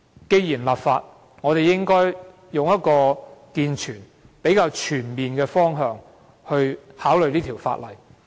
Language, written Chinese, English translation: Cantonese, 既然要立法，我們應從較健全及全面的方向考慮有關法例。, Given the need for enactment of legislation we should consider the relevant legislation in a better and more comprehensive direction